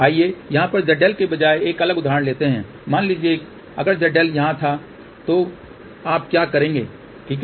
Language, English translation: Hindi, Let us take a different example instead of Z L over here suppose if the Z L was somewhere here ok, then what will you do ok